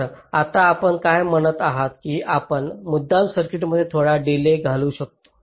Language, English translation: Marathi, that can we deliberately insert some delay in the circuit